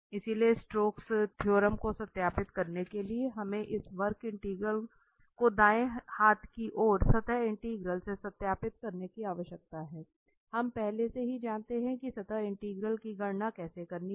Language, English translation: Hindi, So, the Stokes theorem that we need to verify this curve integral we need to verify the right hand side the surface integral, we already know that how to compute surface integral